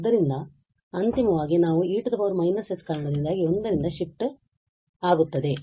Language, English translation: Kannada, So, finally we have due to this e power minus s they will be shift in 1